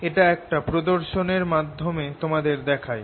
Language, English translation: Bengali, let me show this to you through a demonstration